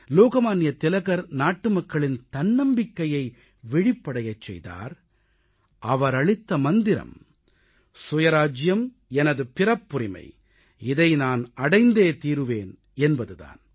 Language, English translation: Tamil, Lokmanya Tilak evoked self confidence amongst our countrymen and gave the slogan "Swaraj is our birth right and I shall have it